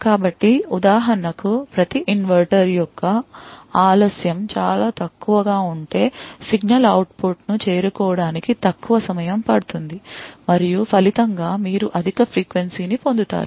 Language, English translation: Telugu, So, for example, if the delay of each inverter present is a very short then the signal would take a shorter time to reach the output and as a result you will get a higher frequency